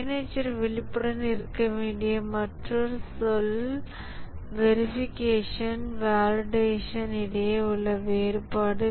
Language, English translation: Tamil, Another terminology that a manager needs to be aware is the difference between verification and validation